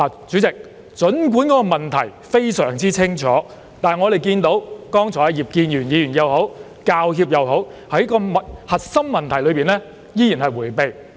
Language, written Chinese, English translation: Cantonese, 主席，儘管問題非常清楚，但不論是葉建源議員或香港教育專業人員協會，在核心問題上依然迴避。, President though the problems are crystal clear both Mr IP Kin - yuen and the Hong Kong Professional Teachers Union PTU are still averting the core problem